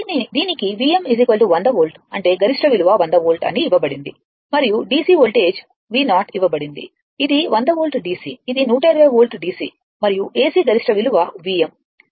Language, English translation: Telugu, It is given V m is equal 100 volt that is the peak value is given 100 volt and V your what you call and DC voltage V 0 is given this is 100 volt DC this is 120 volt DC right and AC peak value V m